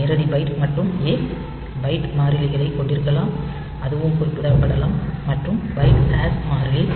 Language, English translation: Tamil, So, direct byte and a; can have byte constant that also can be specified and the byte hash constant